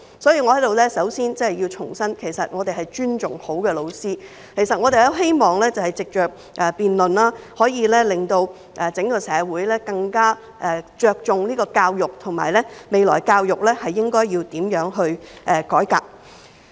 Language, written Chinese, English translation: Cantonese, 所以，我在此首先要重申，其實我們尊重好的教師；我們希望藉着辯論，可以令整個社會更着重教育，以及探討未來教育應要如何改革。, Therefore I would like to first reiterate here that we deeply respect good teachers . It is our hope that through debates the whole society can place more emphasis on education and explore how education should be reformed in the future